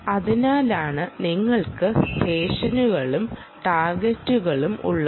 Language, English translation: Malayalam, that is why you have sessions and targets